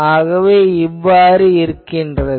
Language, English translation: Tamil, So, why this happens